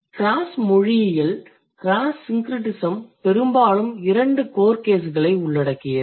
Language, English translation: Tamil, Cross linguistically, case syncretism most frequently the two core cases